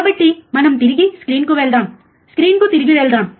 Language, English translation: Telugu, Ah so, let us go back to the screen, let us go back to the screen